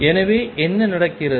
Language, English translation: Tamil, So, what is going on